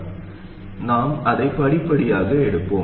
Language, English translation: Tamil, So we'll take it step by step